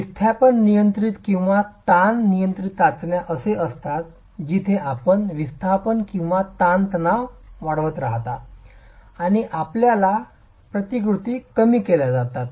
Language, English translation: Marathi, Displacement control or strain control tests are where you continue to increase the displacements or the strains and you get reducing resistances beyond the peak